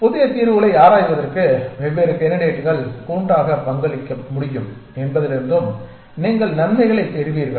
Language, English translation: Tamil, You also get benefit from the fact that different candidates can contribute jointly to exploring new solutions